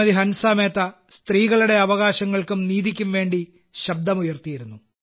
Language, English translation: Malayalam, One such Member was Hansa Mehta Ji, who raised her voice for the sake of rights and justice to women